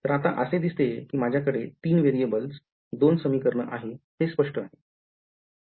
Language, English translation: Marathi, So, it seems like, now I have three variables two equations this part clear